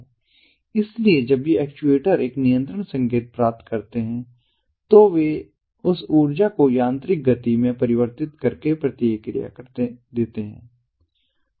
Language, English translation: Hindi, so when these actuators receive a control signal, they respond by converting that energy into mechanical motion, some mechanically